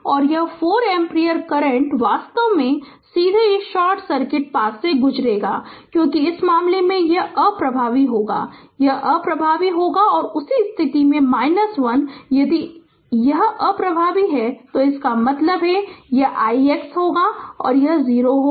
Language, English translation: Hindi, So, this 4 ampere current actually directly you will go through this your short circuit your path, because in this case it will be ineffective it will be ineffective and in this at the same case your i, if it is ineffective means this i x dash will be 0 and i dash will be 0